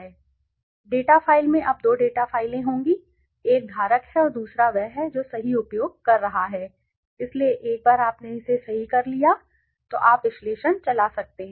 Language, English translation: Hindi, So, the data file will have now two data files one is holder and other one is the one which are using right so once you have done it right then you can run the analyses